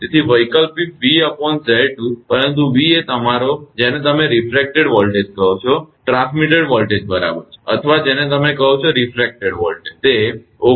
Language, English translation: Gujarati, So, alternative v upon Z 2, but v is the you are your refracted that your what to call this refracted voltage this one, the transmitted voltage right, or refracted voltage whatever you call that is 19